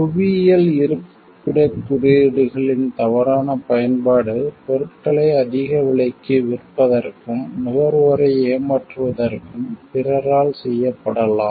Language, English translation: Tamil, False use of geographical locations indications could be done by others to sell products at a higher price, and cheat consumers